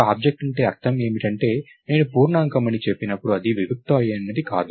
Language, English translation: Telugu, So, what we mean by an object is, its not something abstract when I say integer, right